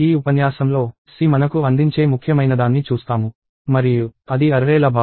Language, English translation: Telugu, So, in this lecture, we will see something really important that C provides us, and that is the notion of arrays